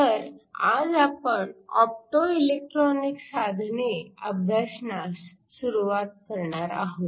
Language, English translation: Marathi, So, today we are going to start to look at optoelectronic devices